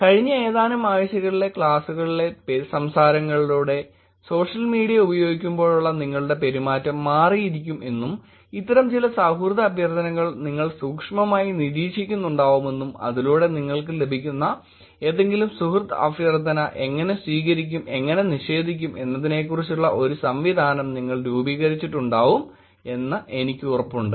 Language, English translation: Malayalam, I am pretty sure in the last couple of weeks going through the class that you are taking on the social network now, even your own behavior may be changing, you may be looking at some of these requests more closely, you may be devising your mechanism by which any friend request that you get, how you are going to accept it or how you are going to deny it